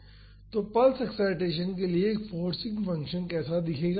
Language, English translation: Hindi, So, this is how a forcing function will look for pulse excitation